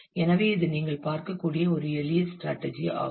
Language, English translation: Tamil, So, that is a simple strategy as you can see